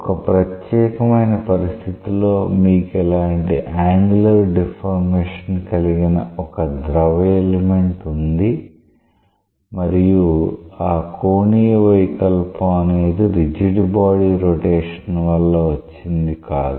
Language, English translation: Telugu, So, if you have a case where you have the fluid element having an angular deformation so that it is not a rigid body rotation